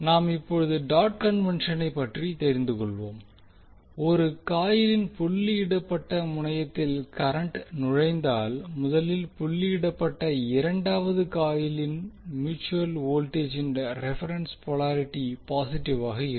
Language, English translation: Tamil, Now let us understand the dot convention first if a current enters the doted terminal of one coil the reference polarity of the mutual voltage in the second coil is positive at the doted terminal of the second coil